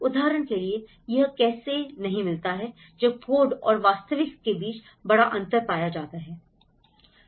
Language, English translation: Hindi, Like for example, how does it does not meet with there is a big difference between the codes and the reality